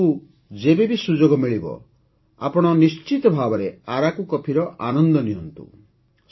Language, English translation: Odia, Whenever you get a chance, you must enjoy Araku coffee